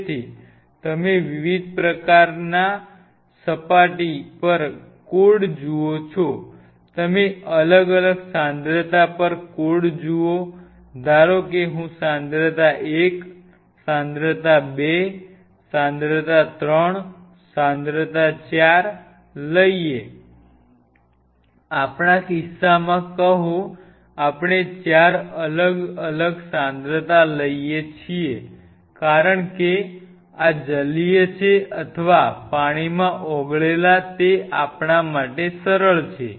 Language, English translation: Gujarati, So, you code the subsurface see you code at different concentrations, suppose I take concentration 1, concentration 2, concentration 3, concentration 4, in our case say we take 4 different concentration since this is aqueous or dissolved in water it is easy for us to do it